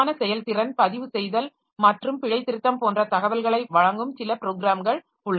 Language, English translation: Tamil, There are some programs that provide detailed performance, logging and debugging information